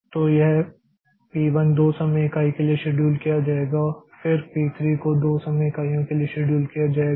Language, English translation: Hindi, So, this is p1 will be scheduled for 2 time unit, then p 3 will be scheduled for 2 time units and now p 3 will be scheduled for 2 time units and now P3 will be over